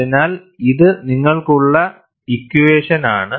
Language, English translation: Malayalam, So, this is the equation that you have